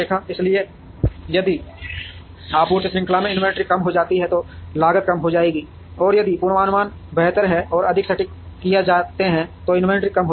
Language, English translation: Hindi, So, if the inventory in the supply chain reduces, then the cost would reduce, and inventory will reduce if forecasts are made better and more accurate